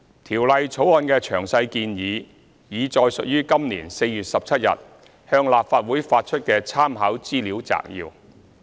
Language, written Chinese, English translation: Cantonese, 《條例草案》的詳細建議，已載述於今年4月17日向立法會發出的參考資料摘要。, The detailed proposals of the Bill are set out in the Legislative Council Brief issued on 17 April this year